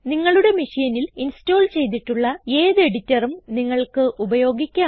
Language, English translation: Malayalam, You can use any editor that is installed on your machine